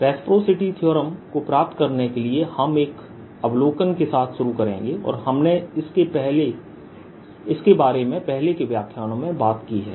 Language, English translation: Hindi, to derive reciprocity theorem, we'll start with an observation and we have talked about in earlier lectures